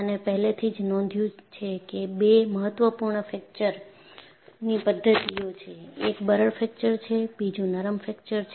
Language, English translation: Gujarati, We have already noticed, that there are 2 important fracture mechanisms; one is brittle fracture; another is ductile fracture